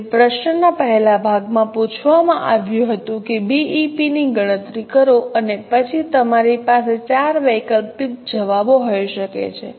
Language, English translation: Gujarati, So, in the first part of question, it was asked that calculate the BP and you can have up to four alternate answers